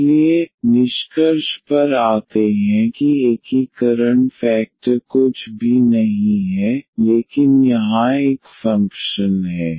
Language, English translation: Hindi, So, coming to the conclusion the integrating factor is nothing, but a function here